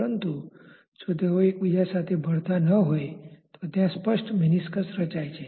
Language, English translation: Gujarati, But if they are not miscible with each other there may be a clear meniscus that is formed